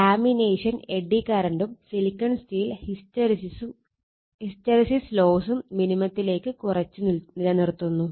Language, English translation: Malayalam, The laminations reducing actually eddy current that is why laminated and the silicon steel keeping hysteresis loss to a minimum, right